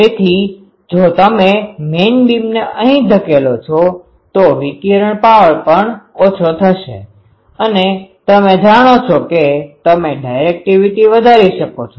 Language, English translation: Gujarati, So, if you protrude main beam here, the total radiated power also will go down and by that they are known that you can increase the directivity there